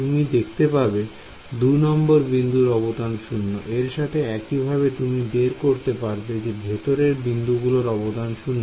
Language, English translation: Bengali, You notice that the contribution from node 2 was 0 so; similarly you will find that the contribution from interior nodes becomes 0 ok